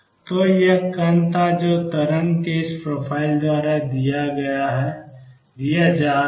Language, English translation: Hindi, So, there was this particle which is being given by this profile of wave